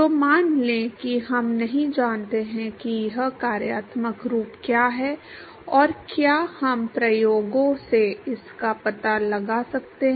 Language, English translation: Hindi, So, let us say we do not know what this functional form is, and can we detect it from the experiments